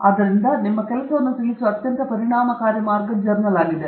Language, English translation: Kannada, So, this is the most efficient way of conveying your work